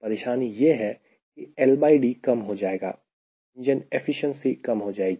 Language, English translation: Hindi, problem is l by d goes down, engine efficiency goes down